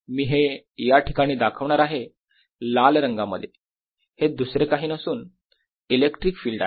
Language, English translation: Marathi, let me show this here in the red is nothing but the electric field